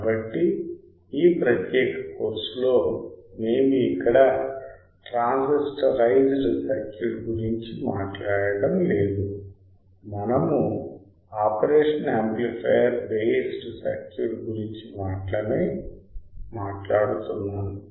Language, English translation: Telugu, So, we are not talking about transistorized circuit here in this particular course, we are only talking about the operation amplifier base circuit